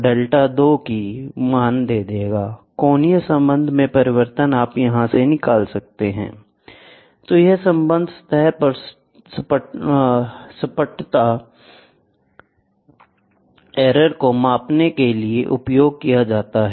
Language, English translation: Hindi, So, by this relationship is used to measure the flatness error on the surface